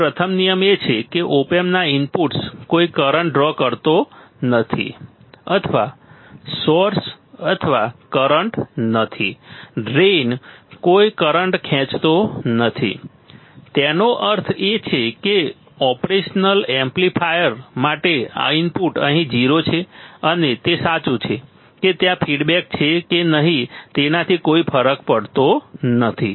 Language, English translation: Gujarati, So, first rule is that the inputs to the op amp draw no current draw or source or no current right, draw drain no current ; that means, the input to the operational amplifier here the current is 0 is 0